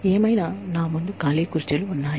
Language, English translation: Telugu, Anyway, there are empty chairs in front of me